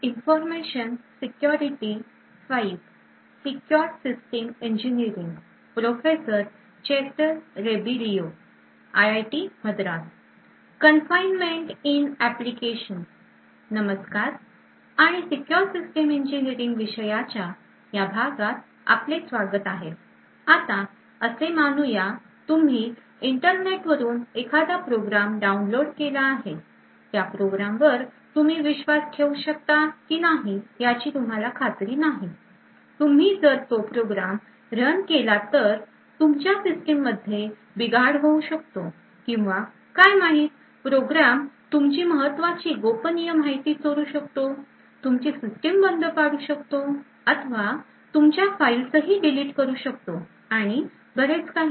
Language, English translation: Marathi, Hello and welcome to this lecture in the course for Secure Systems Engineering, now let us say that you have downloaded a program from the internet, you are not very certain whether you can trust that program, you are not certain that if you run that program your system may get compromised or let us say you are not certain whether that program may steal secret information or may crash your system, may delete your files and so on